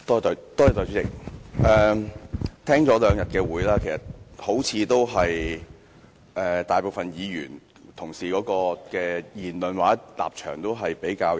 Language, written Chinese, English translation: Cantonese, 代理主席，聽了議員這兩天的發言，發現大部分議員的言論或立場也頗為一致。, Deputy President after hearing the remarks made by Members yesterday and today I notice that the remarks or stands of most of the Members are in agreement to a large extent